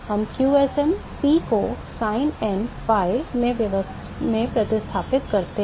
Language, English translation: Hindi, We substitute qsm P into sin n pi